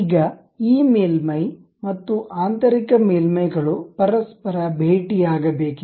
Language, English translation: Kannada, Now, this surface and internal surface, they are supposed to meet each other